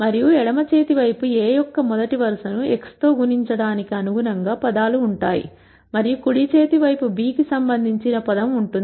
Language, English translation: Telugu, And the left hand side will have terms corresponding to multiplying the first row of A with x and the right hand side will have the term corresponding to b